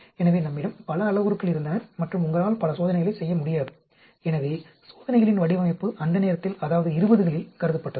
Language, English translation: Tamil, So, we had many parameters and you cannot do too many experiments, so design of experiments was thought of at that point of time, that is, 20s